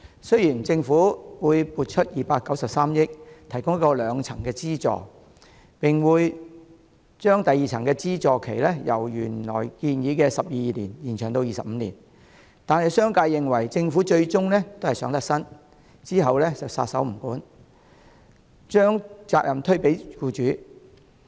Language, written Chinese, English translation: Cantonese, 雖然政府會撥出293億元提供一個兩層的資助，並會把第二層的資助期由原來建議的12年延長至25年，但商界認為政府最終是想脫身，之後便撒手不管，把責任推給僱主。, Although the Government has made a financial commitment of 29.3 billion for providing the second - tier subsidy and will extend its period from the originally proposed 12 years to 25 years the business sector is of the view that the Government is trying to wash its hands of the issue in the end and shift its responsibility to employers so that it will be off the hook then